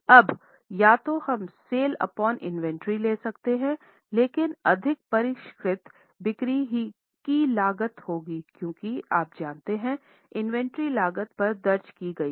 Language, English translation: Hindi, Now, either we can take sales upon inventory but more sophisticated would be cost of sales because you know inventory is recorded at cost